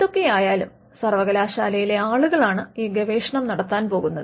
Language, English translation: Malayalam, So, at the end of the day it is the people in the university who are going to do this research